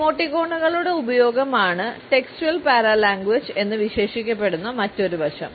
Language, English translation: Malayalam, Another aspect, which has been termed as the textual paralanguage is the use of emoticons